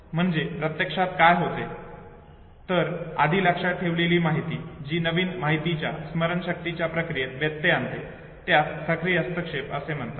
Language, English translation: Marathi, So what is happening actually the previously memorized content that interferes with the process of recollection of the new information, this is called proactive interference